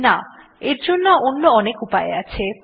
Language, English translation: Bengali, No, there are a number of solutions